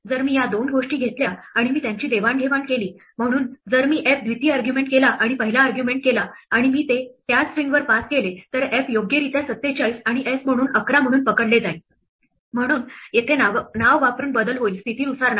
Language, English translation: Marathi, If I take these two things and I exchange them, so if I make f the second argument and s the first argument, and I pass it to the same string then f will be correctly caught as 47 and s as 11, so here by using the name not the position